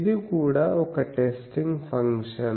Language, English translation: Telugu, So, this is also one testing thing